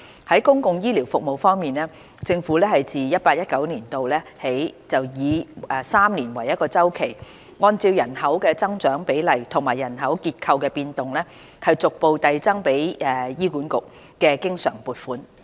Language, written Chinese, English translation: Cantonese, 在公共醫療服務方面，政府自 2018-2019 年度起以每3年為一周期，按照人口增長比例和人口結構的變動，逐步遞增給醫院管理局的經常撥款。, With respect to public health care services the Government has from 2018 - 2019 onwards increased the recurrent funding for the Hospital Authority HA progressively on a triennium basis having regard to population growth rates and demographic changes